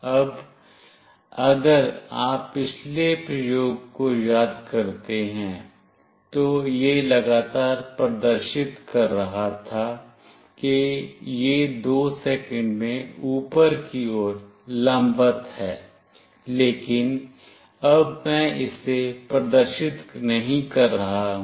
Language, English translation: Hindi, Now, if you recall in the previous experiment, it was continuously displaying that it is vertically up in 2 seconds, but now I am not displaying that